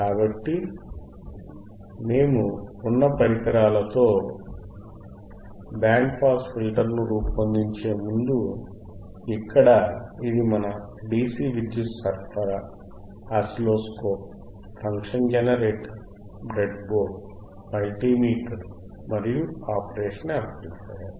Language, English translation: Telugu, So, before we design the band pass filter with the system that we have with the equipment that we have here, which is our dcDC power supply, we have our oscilloscope, function generator, breadboard, multimeter and of course, the operational amplifier